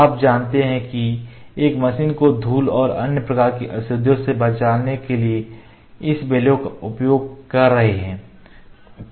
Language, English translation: Hindi, You know we are trying to save the machine using this bellows from the dust and other impurities